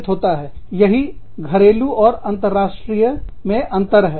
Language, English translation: Hindi, That is the difference between, domestic and international